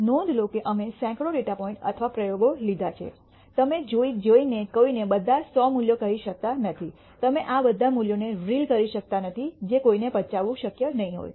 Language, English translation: Gujarati, Notice that we have taken hundreds of data points or experiments, you cannot go and tell somebody all the hundred values, you cannot reel off all these values that will not be possible for somebody to digest